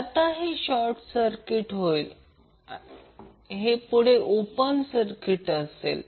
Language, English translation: Marathi, So now this will be short circuited, this will be open circuited